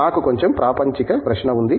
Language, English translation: Telugu, I have bit of mundane question